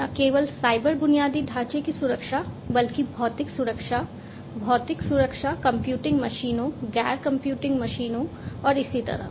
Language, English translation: Hindi, Not only the security of the cyber infrastructure, but also the physical security, the physical security of the machines, of the computing machines, the non computing machines, and so on